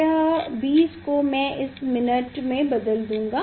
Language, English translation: Hindi, this 20 I will convert it to the minute